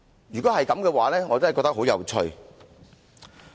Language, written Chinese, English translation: Cantonese, 如果真的是這樣，我感到相當有趣。, If this is really the case it will be very interesting